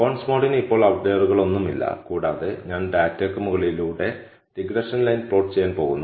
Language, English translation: Malayalam, So, bondsmod one does not have any outliers now and I am going to plot the regression line over the data